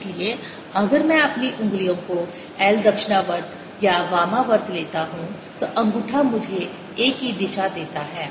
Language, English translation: Hindi, so if i take my fingers around, l clockwise or counterclockwise thumb gives me the direction of a